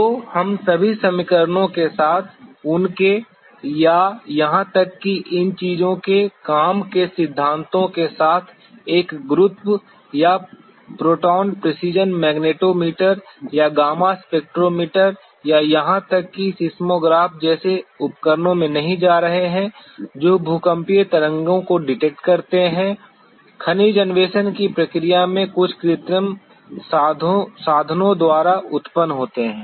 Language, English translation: Hindi, So, we will not be getting into all the very fundamental principles with their equations with their or even the working principles of these things like a gravimeter or the proton precision magnetometer or the gamma spectrometer or even there is instruments like seismograph which detects the seismic waves that are generated by some artificial means in the process of mineral exploration